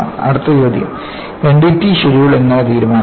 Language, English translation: Malayalam, The next question how is the N D T schedule decided